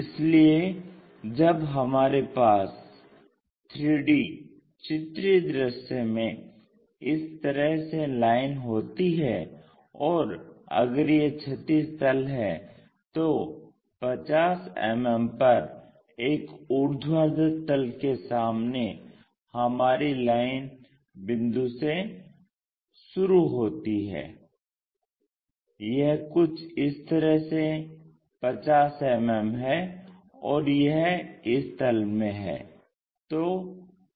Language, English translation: Hindi, So, when we have such kind of line in 3D pictorial view, if this is the horizontal plane, in front of vertical plane at 50 mm, our line point begins in capital C that is something like 50 mm, and it is in this plane